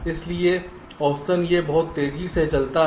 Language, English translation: Hindi, so on the average this runs much faster